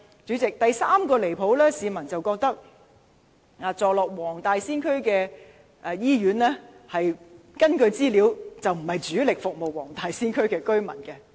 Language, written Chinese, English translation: Cantonese, 主席，第三個離譜之處，是根據資料顯示，市民認為坐落黃大仙區的醫院並非主力服務黃大仙區的居民。, President the third outrageous point is according to information the general public holds that the hospitals located in the Wong Tai Sin District do not primarily serve residents of the district